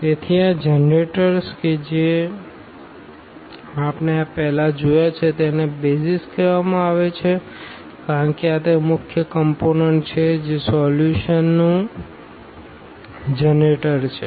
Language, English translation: Gujarati, So, these generators which we have just seen before these are called the BASIS because these are the main component that generator of the solution